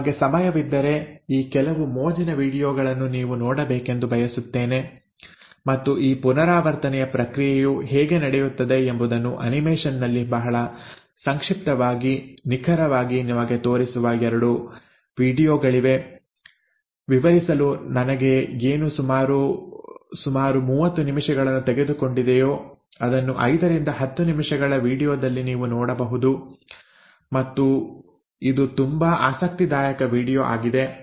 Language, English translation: Kannada, Now, I would like you to, if you have time, to go through some of these fun videos and the first one is, there are 2 videos which very briefly in animation actually show to you exactly how this process of replication takes place, what has taken me about 30 minutes to explain you can see it in about 5 to 10 minutes video